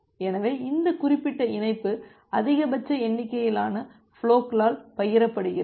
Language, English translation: Tamil, So, this particular link is shared by maximum number of flows